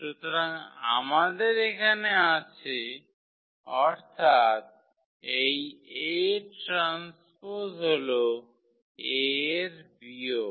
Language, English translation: Bengali, So, here we have; that means, this a transfer is minus of the A